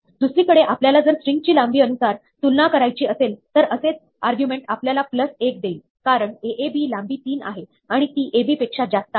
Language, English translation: Marathi, If, on the other hand, we want to compare the strings by length, then, the same argument would give us plus 1, because, aab has length 3 and is longer than ab